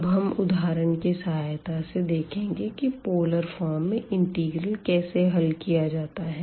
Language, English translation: Hindi, So, we will see with the help of examples now how to evaluate integrals in polar form